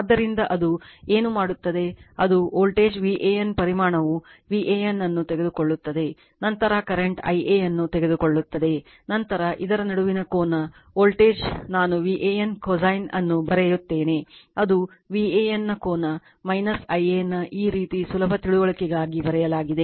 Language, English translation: Kannada, So, it will what it will do that voltage V A N magnitude will take V A N then you will take the current I a , then angle between this , voltage that is your I write cosine of theta V A N that is the angle of V A N , minus theta of I a right, this way it is written just for easy understanding right